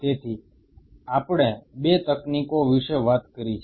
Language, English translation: Gujarati, So, we have talked about 2 techniques right